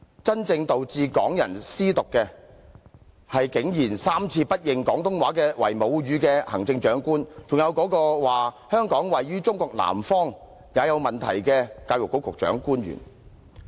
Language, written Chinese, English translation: Cantonese, 真正導致港人"思獨"的，是竟然3次不認廣東話為母語的行政長官，還有那個竟然說"香港位於中國南方"也有問題的教育局官員。, The people who would really make Hong Kong people consider Hong Kong independence are none other than the Chief Executive who went so far as to not admit that Cantonese is our mother tongue for three times and also the official in the Education Bureau who said it was not all right even to state that Hong Kong is situated to the south of China